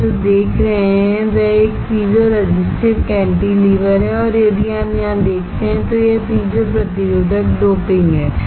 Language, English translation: Hindi, What you see is a is a piezo resistive cantilever and if you see here, this is the piezo resistors doped inside